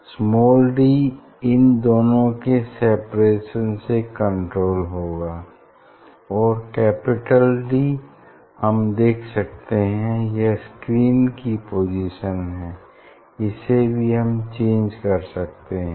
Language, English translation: Hindi, small d and is controlled by the separation of these two and capital D of course, this position of the screen you can see